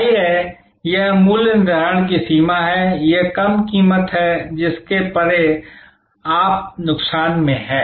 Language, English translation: Hindi, Obviously, this is the range of pricing, this is the low price beyond which you are in at a loss